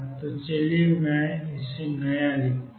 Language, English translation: Hindi, So, let me write this new